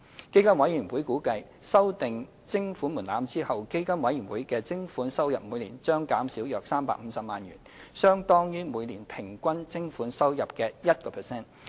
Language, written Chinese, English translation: Cantonese, 基金委員會估計，修訂徵款門檻後，基金委員會的徵款收入每年將減少約350萬元，相當於每年平均徵款收入的 1%。, PCFB has assessed that it would forgo around 3.5 million annually of its levy income after the amendment . This would be equivalent to 1 % of its average annual levy income